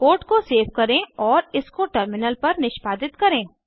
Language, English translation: Hindi, Lets save the code and execute it on the terminal